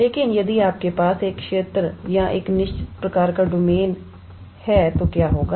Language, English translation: Hindi, But, what would happen if you have a region or a certain type of domain